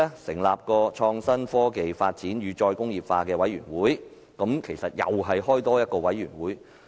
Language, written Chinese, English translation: Cantonese, 成立創新、科技發展與"再工業化"委員會，只是成立多一個委員會。, Setting up a committee on IT development and re - industrialization is merely having one more committee